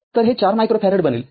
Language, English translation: Marathi, So, it will be 4 micro farad